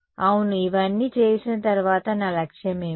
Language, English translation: Telugu, Yeah, after having done all of this what was my objective